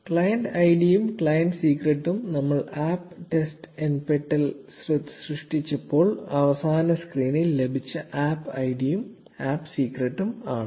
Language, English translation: Malayalam, The client id and client secret are the same as the APP ID and APP Secret that we just obtained in the last screen when we created the APP test nptel